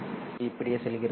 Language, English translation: Tamil, So it goes like this